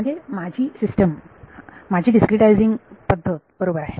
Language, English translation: Marathi, My system of my way of discretizing is fine